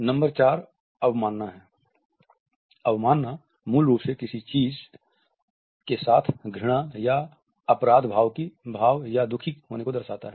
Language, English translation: Hindi, Number 4 is contempt; so, contempt which basically means hatred or guilt or unhappiness with something, is also a pretty easy read